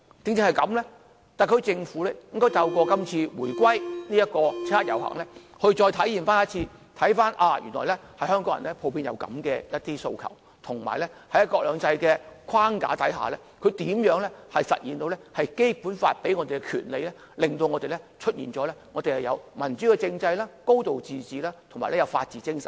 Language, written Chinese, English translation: Cantonese, 正因如此，特區政府應透過這次七一遊行，再次重溫原來香港人普遍有這樣的訴求，以及大家如何在"一國兩制"的框架下行使《基本法》所賦予的權利，以實現民主政制、"高度自治"及法治精神。, It is precisely for this reason that the SAR Government should revisit through the coming 1 July march the aspirations previously expressed by Hong Kong people and how we can exercise the rights vested by the Basic Law under the framework of one country two systems to manifest a democratic political system a high degree of autonomy and the spirit of the rule of law